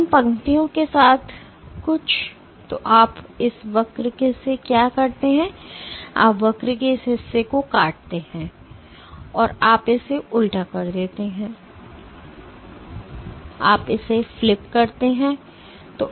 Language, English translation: Hindi, So, what you do is from this curve, you cleave this portion of the curve and you flip it upside down and you flip it